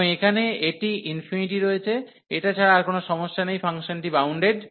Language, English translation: Bengali, And here this is the infinity, other than this there is no problem the function is bounded